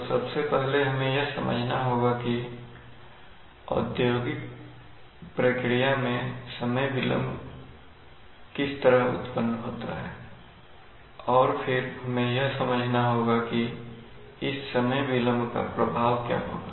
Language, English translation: Hindi, Which are number one first of all we need to understand how time delays arise in industrial processes and then we need to understand why what is the effect of this delay